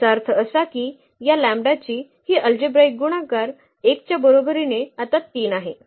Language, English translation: Marathi, That means, this algebraic multiplicity of this lambda is equal to 1 is 3 now